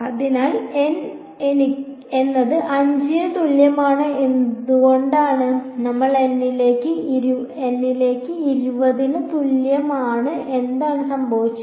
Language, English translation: Malayalam, So, this is why N is equal to 5 as we went further to n equal to 20 what happened